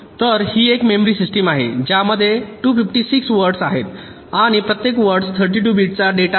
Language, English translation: Marathi, so this is a memory system with two fifty six words and each word containing thirty two bits of data